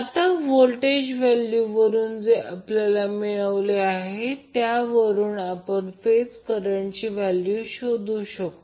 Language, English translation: Marathi, Now from the voltage values which we got, we can find out the value of the phase current